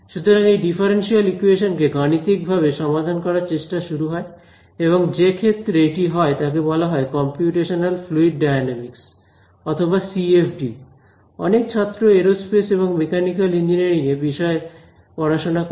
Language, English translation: Bengali, So, the first effort in trying to numerically solve a differential equation; it came about in this field and that field became to became to be called computational fluid dynamics or CFD, that is what a lot of students in aerospace and mechanical engineering study